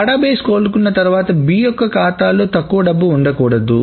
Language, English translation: Telugu, After the database recovers, it should not be that B is seeing less money